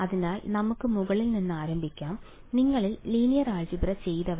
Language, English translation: Malayalam, So, let us start from the top, those of you who have done linear algebra